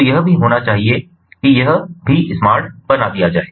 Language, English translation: Hindi, that also has to be made smart